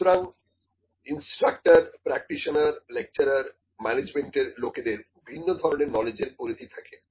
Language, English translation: Bengali, So, the instructors, the practitioner, the lecturers, the management people they have different kind of knowledge sets